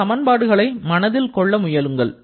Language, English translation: Tamil, Try to remember this equation